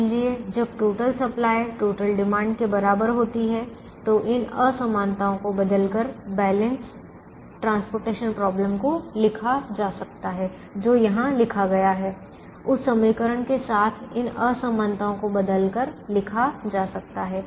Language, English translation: Hindi, so when the total supply is equal to the total demand, the balanced transportation problem can be written by replacing these inequalities, by replacing these inequalities with the equation that is written here, so replacing it with the equation